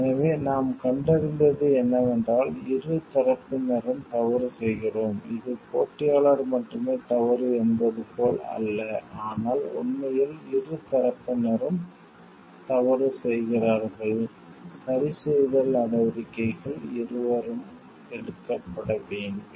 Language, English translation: Tamil, So, this what we find is both the parties are at fault it is not like it is only competitor is at fault, but it is really both the parties who are at fault and, corrective actions needs to be taken by both